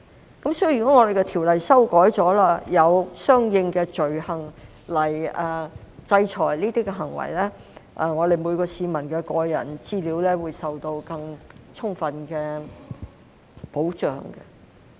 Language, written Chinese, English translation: Cantonese, 如果《私隱條例》經修改後，有了相應的罪行來制裁這些行為，每位市民的個人資料都可受到更充分的保障。, If and after PDPO is amended there will be corresponding offences to sanction such acts so the personal data of every member of the public can be more adequately protected